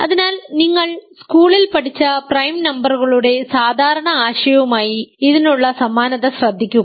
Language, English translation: Malayalam, So, note the similarity with the usual notion of prime numbers that you learnt in school right